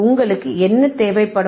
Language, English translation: Tamil, What you will require